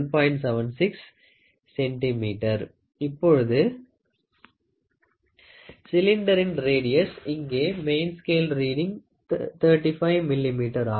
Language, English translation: Tamil, Now, radius of the cylinder; so, here main scale main scale reading is equal to 35 millimeter, which is nothing but 3